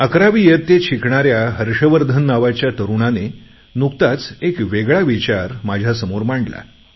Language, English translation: Marathi, Recently, Harshvardhan, a young student of Eleventh Class has put before me a different type of thought